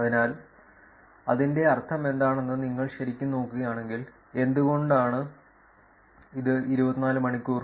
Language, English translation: Malayalam, So, if you really look at what does it mean why is it 24 hours